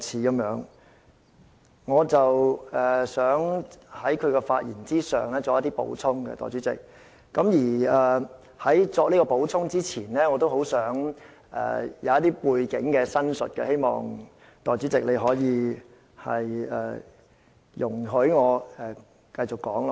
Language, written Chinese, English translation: Cantonese, 代理主席，我想就他的發言作出補充，而在我作出補充前，我想先陳述背景，希望代理主席容許我繼續說下去。, Deputy President I would like to add a few points to his speech . Yet before doing that I have to provide some background information and I hope the Deputy President will allow me to continue